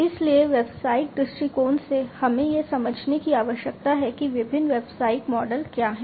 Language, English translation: Hindi, So, from the business perspective, we need to understand what are the different business models